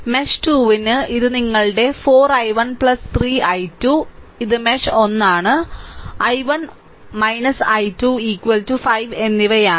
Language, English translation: Malayalam, And for mesh 2, it is your coming your this thing your 4 i 1 plus 3 i 2 is equal to this is for mesh 1, this is for mesh 1, i 1 i 1 minus i 2 is equal to 5 right